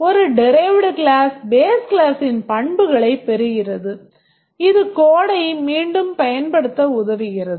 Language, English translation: Tamil, A derived class inherits the attributes of the base class and this helps in reusing the code